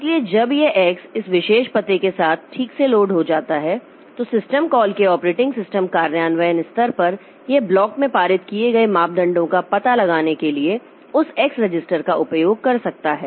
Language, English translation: Hindi, So when this X is properly loaded with this particular, then at the operating system implementation level of the system call, so it can use that X register to locate the parameters that have been passed in the block